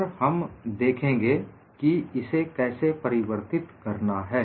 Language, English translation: Hindi, And we will also look at how to change it